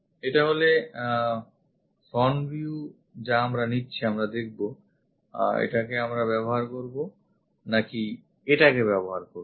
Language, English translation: Bengali, This is the front view we are picking whether this one we would like to use or this one we would like to use, we will see